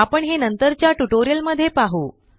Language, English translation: Marathi, We shall see that in later tutorials